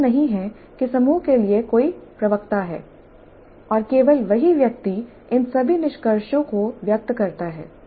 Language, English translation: Hindi, It's not like there is a spokesman for the group and only that person expresses all these conclusions